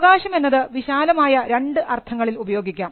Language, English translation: Malayalam, Rights can be used in 2 broad senses